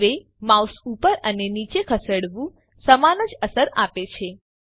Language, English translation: Gujarati, Now moving the mouse up and down gives the same effect